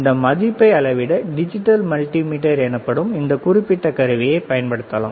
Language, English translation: Tamil, To measure this value, we can use this particular equipment called a digital multimeter